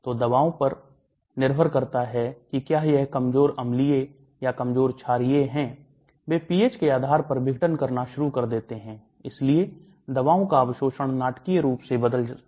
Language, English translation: Hindi, So the drugs depending upon the whether it is weakly acidic or weakly basic, they will start dissociating depending upon the pH and so the absorption of the drugs may change dramatically